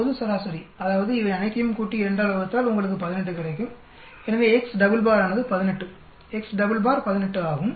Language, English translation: Tamil, The global average, that mean you add up all these and divide by 2 you get 18, so x double bar is 18, x double bar is 18